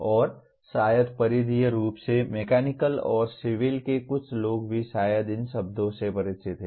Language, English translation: Hindi, And maybe peripherally some people from Mechanical and Civil also maybe familiar with these words